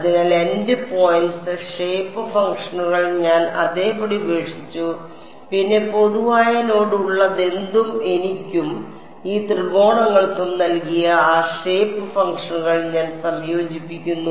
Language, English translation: Malayalam, So, the endpoints shape functions I left them as it is and then whatever had a common node I combine those shape functions that gave me T 2 and T 3 these triangles